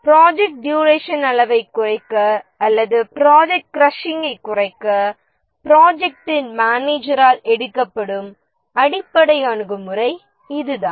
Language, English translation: Tamil, So this is basically the approach the project manager takes to reduce the project duration or the project crashing